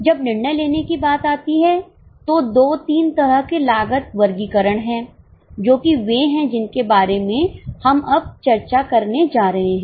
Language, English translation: Hindi, When it comes to decision making, there were two, three cost classifications which are the ones which we are going to discuss now